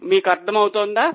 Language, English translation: Telugu, Are you getting it